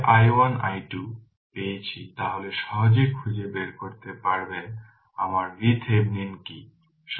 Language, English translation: Bengali, So, i 1 i 2 you have got then easily you can find it find it out that what is my V Thevenin